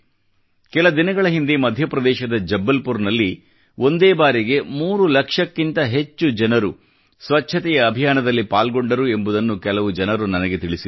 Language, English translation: Kannada, I was told that a few days ago, in Jabalpur, Madhya Pradesh, over three lakh people came together to work for the sanitation campaign